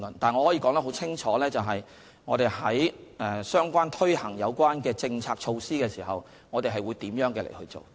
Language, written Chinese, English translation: Cantonese, 但是，我可以說得很清楚，在推行有關政策措施的時候，我們會怎樣做。, But I can tell Members very clearly what we will do when implementing relevant policies and measures